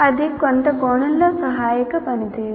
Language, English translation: Telugu, That is in some sense assisted performance